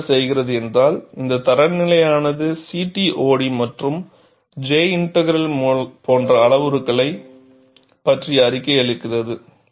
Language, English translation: Tamil, And what it does is, the standard provides reporting other parameters such as CTOD and J integral